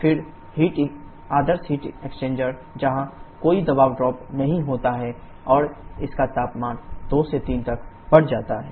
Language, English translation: Hindi, Then the ideal heat exchanger where there is no pressure drop and its temperature increases from 2 to 3